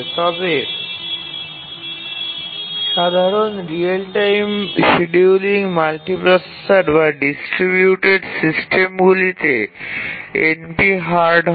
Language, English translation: Bengali, But the general real time scheduling of multiprocessor distributed systems is a NP hard problem